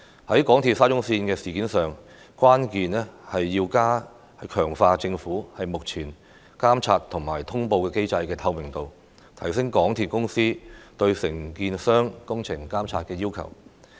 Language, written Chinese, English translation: Cantonese, 在港鐵沙中線的事件上，關鍵是要強化政府目前監察與通報機制的透明度，提升港鐵公司對承建商工程監管的要求。, As far as MTRCLs SCL incident is concerned the key is to boost the transparency of the Governments existing monitoring and reporting mechanism and tighten up the requirements for MTRCLs to control the contractors engineering works